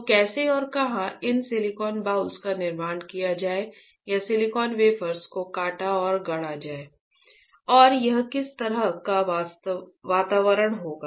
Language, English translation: Hindi, So, how and where would these silicon boules would be fabricated or where the silicon wafers would be sliced and fabricated, alright and what kind of environment it would be right